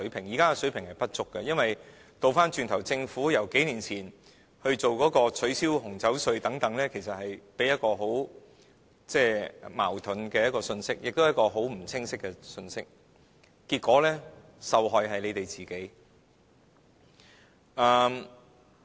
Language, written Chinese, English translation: Cantonese, 現時水平不足，是因為政府數年前取消紅酒稅等措施，其實是發出一個既矛盾，亦不清晰的信息，結果受害的是政府。, The inadequacy of the present day campaigns is a result of the Governments waiving of wine duties several years ago . It has send a very contradictory and confusing message to society and eventually made the Government the victim